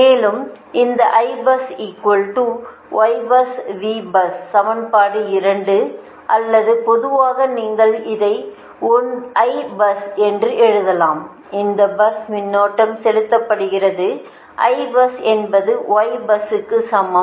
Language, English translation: Tamil, this equation, actually equation two, or in general you can write it that i bus, this is the bus current injection